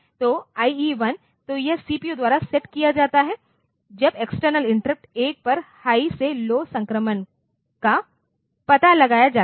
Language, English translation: Hindi, So, IE1, so this is set by the CPU, when high to low transition detected on external interrupt 1